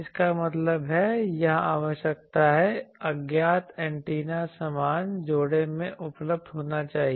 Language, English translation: Hindi, That means, the requirement here is the unknown antenna should be available in identical pairs